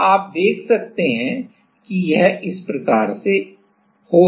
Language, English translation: Hindi, So, you can see it is like this